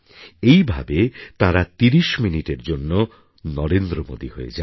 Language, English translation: Bengali, In this way for those 30 minutes they become Narendra Modi